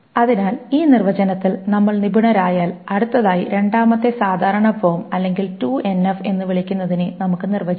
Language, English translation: Malayalam, So having this definitions handy with us, we will next define what is called a second normal form or 2NF